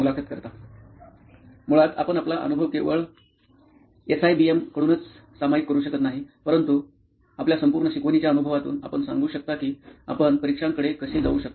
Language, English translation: Marathi, Basically you can share your experience not only from SIBM, your entirely, from your entire learning experience you can tell us how you probably approach examinations